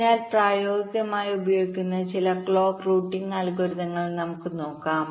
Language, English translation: Malayalam, ok, so now let us look at some of the clock routing algorithms which are used in practice